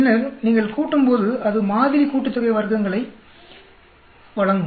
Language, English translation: Tamil, Then, when you add up that will give you sample sum of squares